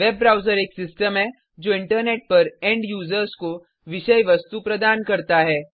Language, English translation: Hindi, A web server is a system that delivers content to end users over the Internet